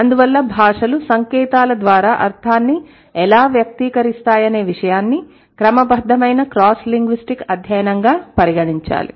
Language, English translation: Telugu, It is considered as a systematic cross linguistic study of how languages express meaning by way of science